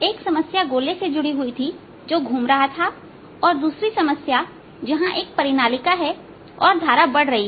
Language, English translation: Hindi, one of the problems was related to this sphere which is rotating, and the other problem where there's a solenoid and the current is increasing